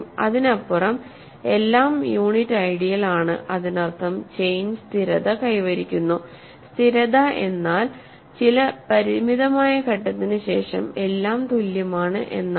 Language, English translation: Malayalam, So, beyond that everything is unit ideal that means the chain has stabilized, stabilizing means after some finite stage they are all equal